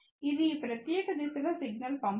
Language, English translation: Telugu, It does not send signal in this particular direction